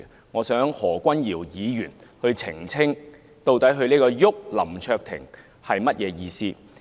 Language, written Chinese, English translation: Cantonese, 我想何君堯議員澄清，他所謂"'郁'林卓廷"，究竟是甚麼意思？, I would like to ask Dr Junius HO to clarify his meaning of to fix Mr LAM Cheuk - ting